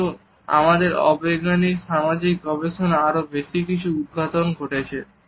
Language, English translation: Bengali, But our unscientific social experiment revealed something more